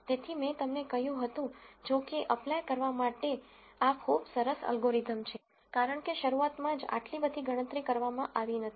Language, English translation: Gujarati, So, I told you that while this is a very nice algorithm to apply, because there is not much computation that is done at the beginning itself